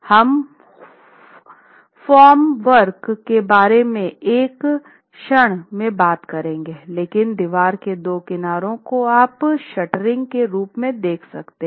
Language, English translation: Hindi, We will come to the formwork in a moment but the shuttering allows two sides of the wall, two edges of the wall to act as your shuttering itself